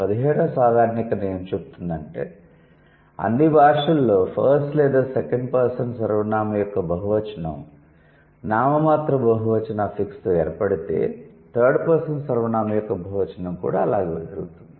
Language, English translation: Telugu, And 17 generation says if there is a plural of first or second person pronoun is formed with a nominal plural, then the plural of third person is also going to be formed in the same way